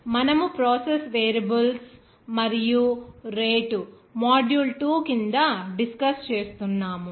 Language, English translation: Telugu, So, we were discussing about the process variables and rate under module 2